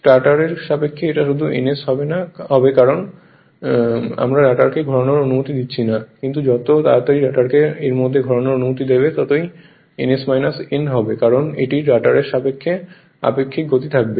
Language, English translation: Bengali, It will be just ns with respect to stator because we are not allowing the rotor to rotate, but as soon as you allow the rotor to rotate within it will be ns minus n because relative speed with respect to rotor right